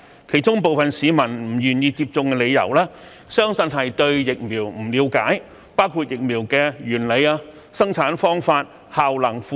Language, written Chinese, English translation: Cantonese, 其中部分市民不願意接種的原因相信是對疫苗不了解，包括疫苗的原理、生產方法、效能、副作用等。, It is believed that some people are unwilling to get vaccinated because of their lack of understanding of the vaccines including their principles production methods efficacy and side effects